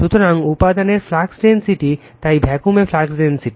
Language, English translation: Bengali, So, flux density in material, so flux density in a vacuum